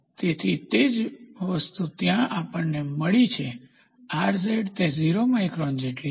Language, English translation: Gujarati, So, same thing where we got Rz is equal to 0 microns